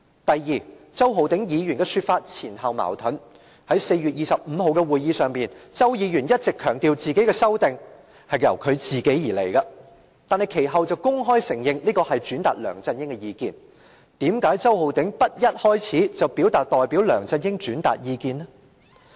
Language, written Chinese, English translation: Cantonese, 第二，周浩鼎議員的說法前後矛盾，在4月25日的會議上，周議員一直強調修訂是由他本人作出，但其後卻公開承認是轉達梁振英的意見，為甚麼周浩鼎議員不一開始便表示代梁振英轉達意見？, Second Mr Holden CHOW has been self - contradictory . At the meeting on 25 April he kept insisting that he made the amendments but later he openly admitted that he was relaying LEUNG Chun - yings opinions . Why didnt Mr Holden CHOW say at the outset that he relayed LEUNG Chun - yings opinions on his behalf?